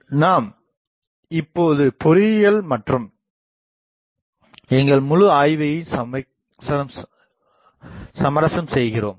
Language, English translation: Tamil, I now that compromises actually our whole study of engineering